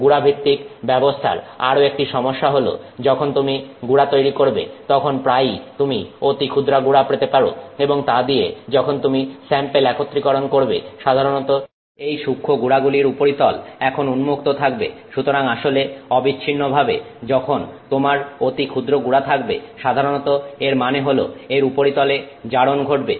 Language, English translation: Bengali, The other problem with a powder based approach if you take you know create powders because and the reason we look at it is because you can often get fine powder and from that you can start consolidating the samples is that when you take the fine powder typically the surface of that fine powder is now exposed so in fact invariably when you have a fine powder it usually means surfaces oxidized